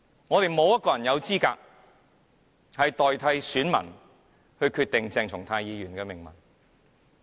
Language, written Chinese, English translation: Cantonese, 我們沒有人有資格代選民決定鄭松泰議員的命運。, None of us is qualified to determine on behalf of voters Dr CHENG Chung - tais fate . We may disapprove of his act